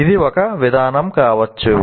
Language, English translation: Telugu, Or it could be a procedure